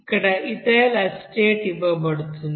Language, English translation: Telugu, Here ethyl acetate is given